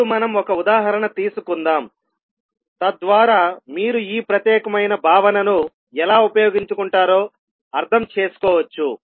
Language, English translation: Telugu, Now let us take one example so that you can understand how will you utilise this particular concept